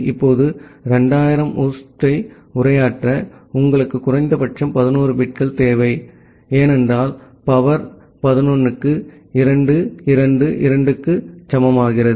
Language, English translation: Tamil, Now, to address 2000 host, you require at least 11 bits, because 2 2 to the power 11 becomes equal to 2